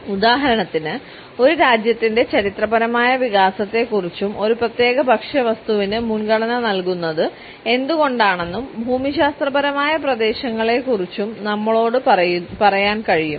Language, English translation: Malayalam, For example, they can tell us about the historical development of a country, the geographical regions where a particular food item is preferred and why